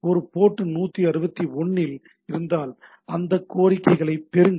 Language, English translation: Tamil, If this is at port 161 get next requests and next response and it goes on like this